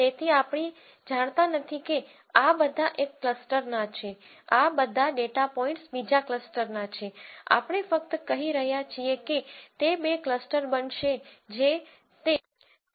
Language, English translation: Gujarati, So, we do not know that this all belong to one cluster, all of these data points belong to another cluster we are just saying that are going to be two clusters that is it